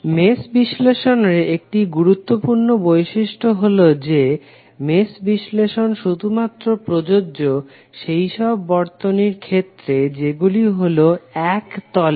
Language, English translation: Bengali, One of the important property of mesh analysis is that, mesh analysis is only applicable to the circuit that is planer